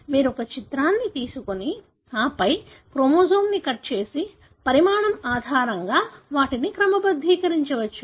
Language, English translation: Telugu, You can take an image and then cut the chromosome and sort them based on the size